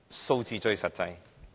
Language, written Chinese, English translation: Cantonese, 數字最實際。, Figures speak it all